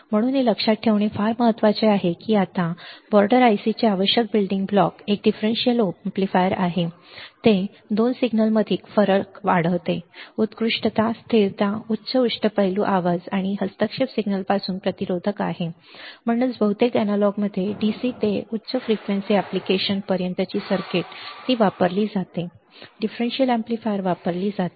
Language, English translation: Marathi, So, that is the very important to understand very important to remember now the essential building block of border I c is a differential amplifier it amplifies the difference between 2 signals has excellent stability high versality high versatility immune to noise and interference signal and hence in most of the analog circuits ranging from DC to high frequency applications the it is used the differential amplifier is used differential amplifier is used in most of the most of the application when we talk about the operational amplifier, all right, easy; easy to understand very easy, right